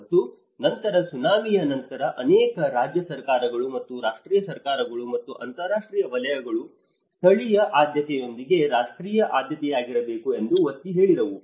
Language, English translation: Kannada, And later on after the Tsunami, the many of the state governments and the national governments and the international sectors, they have emphasized that it has to be a national priority also with the local priority